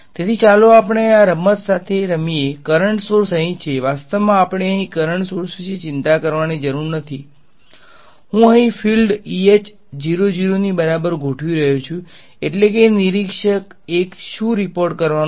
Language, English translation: Gujarati, So, let us play along with this game the current sources are here actually we need not worry about the current sources over here, I am setting the fields over here E comma H equal to 00 that is that is what observer 1 is going to report